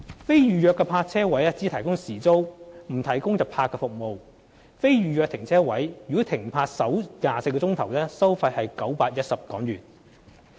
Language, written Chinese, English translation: Cantonese, 非預約泊車位只提供時租，不設日泊服務。在非預約泊車位停泊首24小時收費為910元。, Parking at non - reserved parking spaces is available only on an hourly basis but not on a daily basis and will cost HK910 for the first 24 hours of occupation